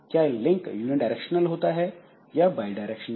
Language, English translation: Hindi, Is the link unidirectional or bi directional